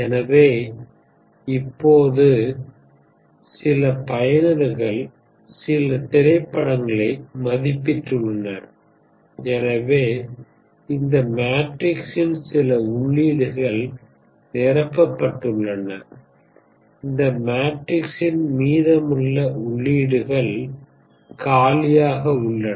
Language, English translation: Tamil, So now some users have rated some movies, therefore, some entries of this matrix are filled, the rest of the entries of this matrix are vacant